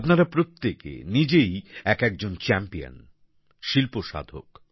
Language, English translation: Bengali, Each one of you, in your own right is a champion, an art seeker